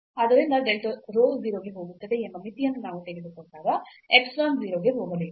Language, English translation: Kannada, So, the epsilon must go to 0 and we take the limit here as delta rho go to 0 goes to 0